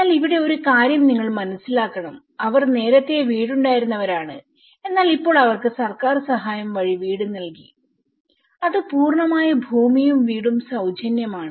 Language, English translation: Malayalam, But here one thing you have to understand that they people who were having houses earlier but now they have been given houses through a government support which is completely land is free and the house is free